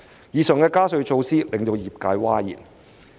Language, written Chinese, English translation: Cantonese, 以上加稅措施令業界譁然。, These tax increase measures have taken the industry by surprise